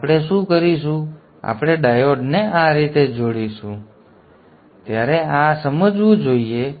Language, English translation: Gujarati, So what we will, we will connect the diode in this fashion